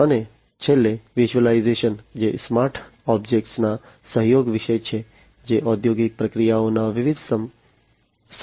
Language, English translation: Gujarati, And finally the virtualization which is about the collaboration of the smart objects, which are the different enablers of industrial processes